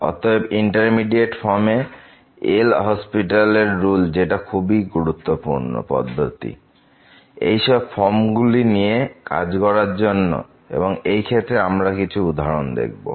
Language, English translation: Bengali, So indeterminate forms, L'Hospital's rules which is very fundamental principle to determine a such forms and some worked out examples